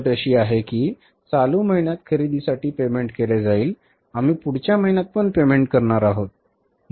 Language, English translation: Marathi, Because the condition is payment will be made for the purchases in the current month, we are going to make the payment in the next month